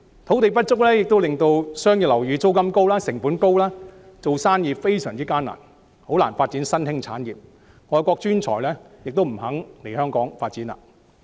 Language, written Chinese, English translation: Cantonese, 土地不足也導致商業樓宇租金貴、成本高，做生意非常艱難，特別是發展新興產業，而外國專才也不肯來港發展。, The inadequacy of land also leads to expensive rental of commercial properties high operation cost and adverse business environment especially for emerging industries . Foreign talents are also unwilling to come here for career development